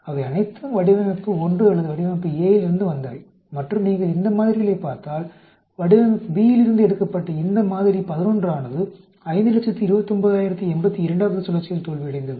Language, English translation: Tamil, They are all from the design 1 or design A and if you look at these samples the sample 11 which was taken from design B, failed at 529,082nd cycle